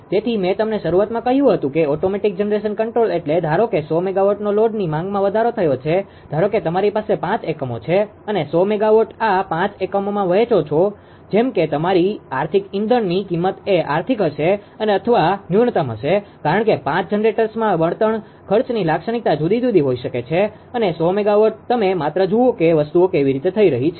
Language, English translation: Gujarati, So, I told you at the beginning that automatic generation control means suppose one hundred megawatt one hundred megawatt ah load demand has increased suppose you have a 5 units that hundred megawatt you share among 5 units such that your economic ah your economic fuel fuel cost will be economical or minimum because 5 generators may have different fuel cost character and 100 megawatt you just ah just see that how things are happening